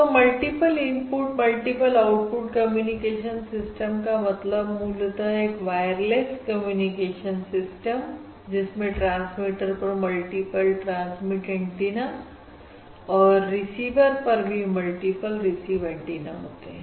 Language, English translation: Hindi, So multiple input, multiple output communication system basically means um wireless communication system, which, which has multiple transmit antennas at the transmitter and multiple receive antennas at the receiver